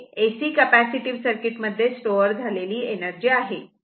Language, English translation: Marathi, That is, the energy stored in AC circuit and the capacitive circuit right